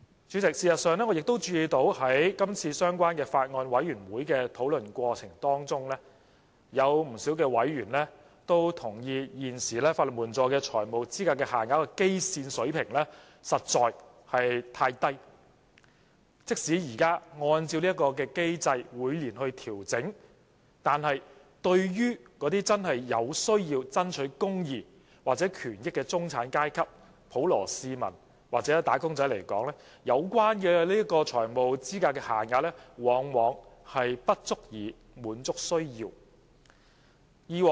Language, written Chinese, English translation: Cantonese, 主席，事實上，在今次相關的擬議決議案小組委員會的討論中，不少委員也同意，現時法援的財務資格限額的基線水平實在太低，即使按照這個機制每年調整，對於那些真正有需要爭取公義或權益的中產階級、普羅市民或打工階層來說，有關的財務資格限額往往沒有顧及他們的需要。, President as a matter of fact in the course of discussion of the relevant subcommittee on the proposed resolution many members reckoned that as the original FELs adopted as baseline under the existing legal aid system are too low even with the annual adjustments based on this mechanism insofar as the middle class the general public or the labour sector who have the genuine need to pursue justice or rights are concerned the relevant FELs have not taken into account their needs